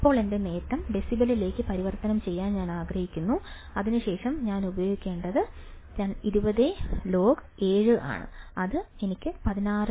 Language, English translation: Malayalam, Now, again I want to convert my gain in decibels then I have to use 20 log 7 that will give me value of 16